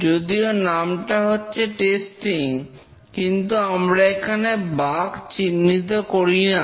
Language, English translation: Bengali, Even though name is testing, here the objective is not to detect bugs